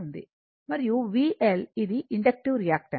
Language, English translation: Telugu, And v L this is the inductive reactance